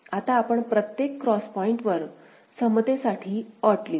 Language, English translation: Marathi, Now, at every cross point we shall be writing the condition for equivalence